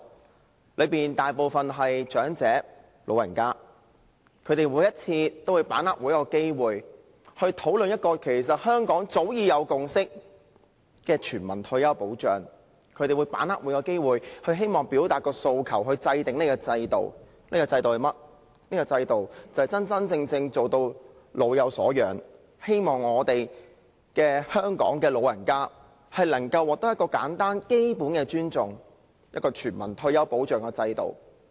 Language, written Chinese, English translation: Cantonese, 他們當中大部分是長者，每一次他們都把握機會討論香港早已有共識的全民退休保障，他們把握每個機會表達訴求，希望制訂這個制度，真正做到老有所養，讓香港的長者能透過全民退休保障的制度獲得基本的尊重。, Most of them are elderly people and they have seized the opportunity of every discussion on the issue of universal retirement protection on which a consensus has long been reached in Hong Kong . They have seized every opportunity to express their aspirations in the hope that this system will be established so that the objective of fostering a sense of security among the elderly can be truly achieved and the elderly in Hong Kong can earn basic respect through the universal retirement protection system